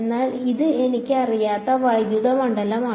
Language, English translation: Malayalam, But this one the electric field I do not know